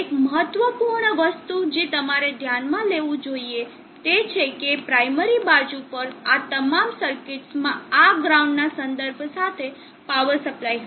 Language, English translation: Gujarati, One important think that you should notice is that on the primary side all this circuits will have a power supply with reference to this ground